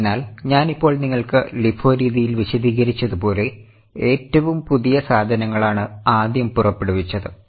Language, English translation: Malayalam, So, as I have just explained you, in LIFO method, the assumption is the latest goods are issued out first